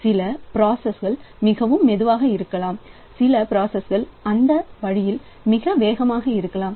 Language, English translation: Tamil, So, some of the processes may be very slow, some of the processes may be very fast that way